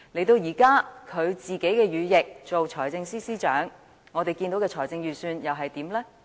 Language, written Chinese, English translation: Cantonese, 到了現在，他的羽翼成為財政司司長，我們看到的預算案又如何？, Now that a lackey of his has become the Financial Secretary what about the Budget presented to us by him?